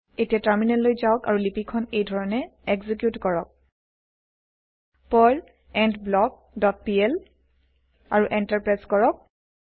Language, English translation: Assamese, Then switch to terminal and execute the script by typing, perl endBlock dot pl and press Enter